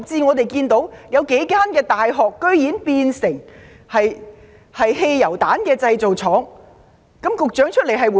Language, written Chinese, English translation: Cantonese, 我們又看到有幾間大學竟然變成汽油彈製造廠，局長有何回應？, We also see that several universities have gone so far as to have turned into petrol bomb factories . What does the Secretary for Education say about this?